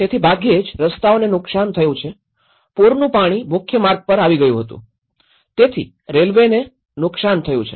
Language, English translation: Gujarati, So, hardly the roads have been damaged, the flood water came onto the main road, so railways have been damaged